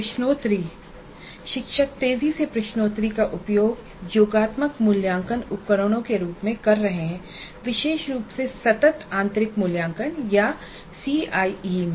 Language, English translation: Hindi, Now quizzes teachers are increasingly using quizzes as summative assessment instruments, particularly in continuous internal evaluation or CIE